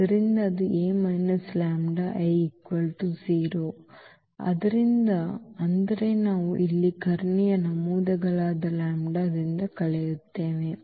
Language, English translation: Kannada, So, that will be A minus this lambda I is equal to 0 so; that means, we will subtract here from the diagonal entries lambda